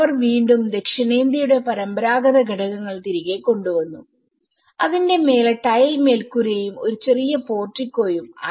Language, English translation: Malayalam, They again brought back the traditional elements of the south Indian with the tile roof over that and with a small portico